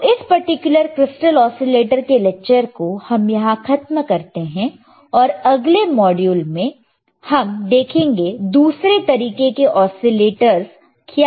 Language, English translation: Hindi, So, we will we we will stop in t this lecture in this particular on this particular crystal oscillators and let us see in the next module what are the other kind of oscillators alrightare